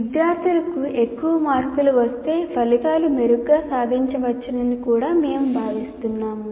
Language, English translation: Telugu, And finally what happens is we consider the more marks a student gets, the outcomes are better achieved